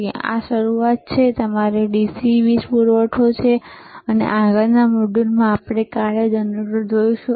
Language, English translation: Gujarati, So, this is the starting, which is your DC power supply, and next module we will see the function generator, all right